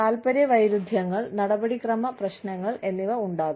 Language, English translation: Malayalam, There could be, conflicts of interest, procedural issues